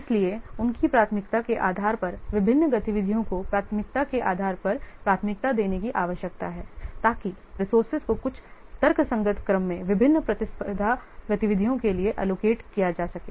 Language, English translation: Hindi, So, there is a need to prioritize the different activities based on their priority, based on their importance so that the resources can be allocated to the different competing activities in some rational order